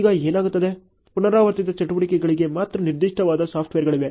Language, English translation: Kannada, Now what happens is, there are software which are very specific only for repetitive activities